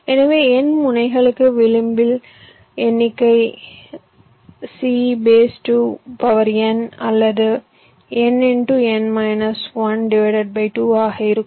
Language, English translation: Tamil, so for n nodes the number of edges will be n, c, two for n into n minus one by two